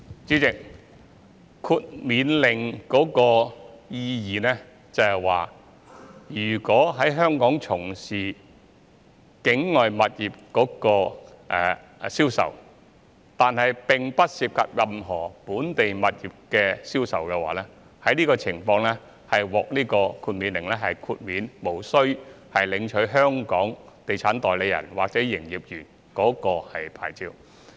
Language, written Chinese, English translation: Cantonese, 主席，豁免領牌令的意義是，如果在香港從事境外物業的銷售，但並不涉及任何本地物業銷售的話，這情況可獲豁免，無須領取香港地產代理或營業員牌照。, President the exemption from licensing order is meant to grant exemption to people who handle the sale of overseas properties in Hong Kong but are not involved in the sale of any local property in which case they are not required to be licensed estate agents or salespersons